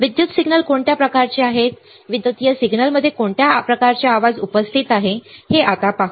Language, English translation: Marathi, Let us now see what are the kind of electrical signals, what are the kind of noise present in the electrical signal